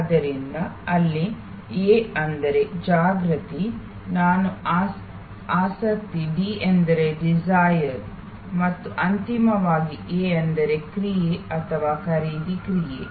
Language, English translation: Kannada, So, there A stands for Awareness, I stands for Interest, D stands for Desire and finally, A stands for Action or the purchase action